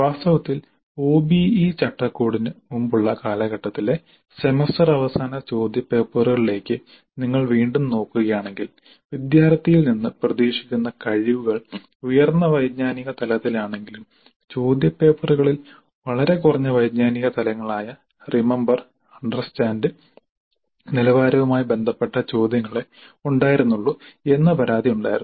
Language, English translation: Malayalam, In fact again if you look into the semester and question papers in the earlier times before the OBA framework, many of the people complain that the question papers have questions all related to very low cognitive levels of remember and sometimes only remember and understand even though the expected competencies from the student are at higher cognitive levels